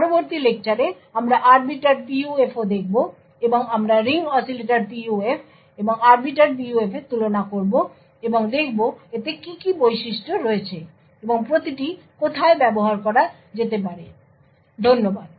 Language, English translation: Bengali, In the next lecture we will also, look at Arbiter PUF and we will also, compare the Ring Oscillator PUF and the Arbiter PUF and see what are the characteristics and where each one can be used, thank you